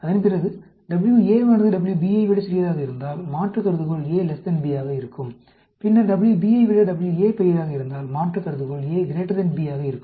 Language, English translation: Tamil, And then, if WA is smaller than WB, the alternate will be A less than B; if WA is bigger than WB, then the alternate will be A greater than B